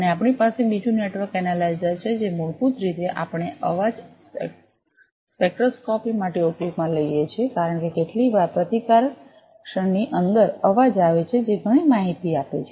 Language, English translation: Gujarati, And also we have another network analyser, which basically we use for noise spectroscopy, because sometimes are noise inside the resistance transient that also gives lot of information